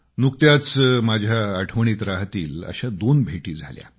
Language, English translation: Marathi, Just recently I had two memorable meetings